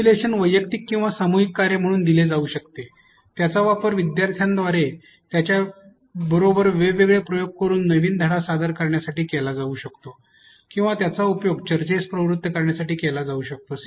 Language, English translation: Marathi, Simulation can be given as an individual or a group task, it can be used to introduce new lesson by students having to play with it or it can be used to instigate a discussion